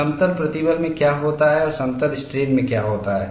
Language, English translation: Hindi, What happens in plane stress and what happens in plane strain